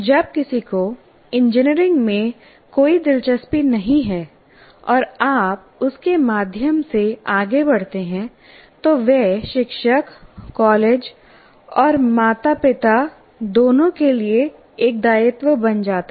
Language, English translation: Hindi, So when somebody is not interested in engineering and you push through him, he becomes a liability, both to the teacher and the college and to the parents